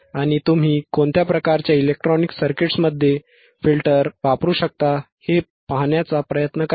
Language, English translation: Marathi, Right aAnd try to see in which kind of electronic circuits the filters are used right